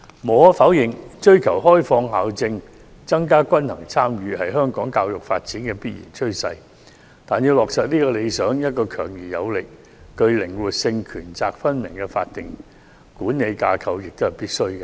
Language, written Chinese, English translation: Cantonese, 無可否認，追求開放校政，增加均衡參與是香港教育發展的必然趨勢，但要落實這個理想，一個強而有力、具靈活性和權責分明的法定管理架構也是必須的。, It is undeniable that pursuing the liberalization of school policies and increasing balanced participation are inevitable development trends of education in Hong Kong . Yet to achieve this ideal a strong and powerful statutory management structure with flexibility and explicit powers and responsibilities is indispensable